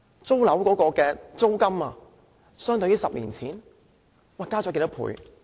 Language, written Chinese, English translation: Cantonese, 租金相對10年前增加多少倍？, How many times have the rents shot up since 10 years ago?